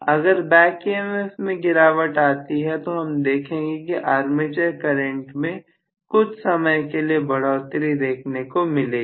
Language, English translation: Hindi, When the back EMF drops immediately I would see the armature current rises transient in a transient manner